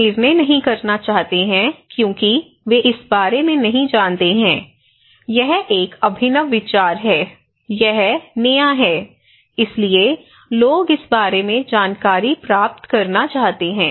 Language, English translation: Hindi, People do not want to make decisions because they do not know about this one, this is an innovative idea, this is the new, so people want to get information about this one